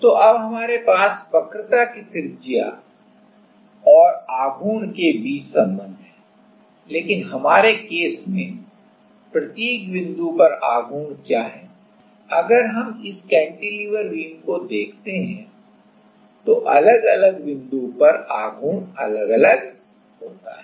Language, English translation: Hindi, So, now we have a relation between the radius of curvature and the moment, but what is the moment at every point for our case, if we see this cantilever beam then at different point the moment is different